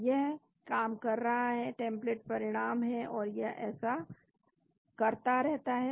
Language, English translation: Hindi, So, it is doing the job, template results and it keeps doing that